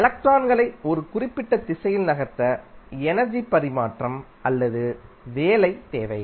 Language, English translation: Tamil, Now, energy transfer or work is needed to move electrons in a particular direction